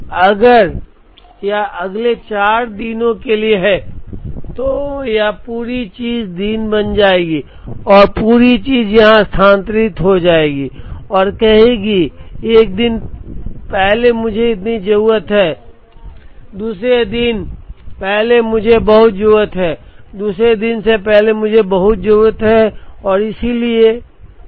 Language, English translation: Hindi, So, if this for next 4 days then this whole thing will become day and the whole thing will shift here and say, one day before I need so much, another day before I need so much, another day before I need so much and so on